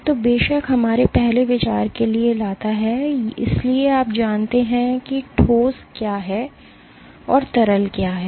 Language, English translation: Hindi, So, that of course, brings to our first idea is, so, you know what is the solid, and what is the liquid